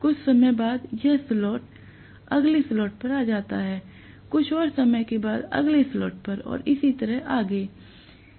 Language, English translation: Hindi, After sometime, it is coming to the next slot, after some more time it comes to the next slot and so on and so forth